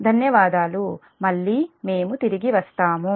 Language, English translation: Telugu, thank u again, we will be back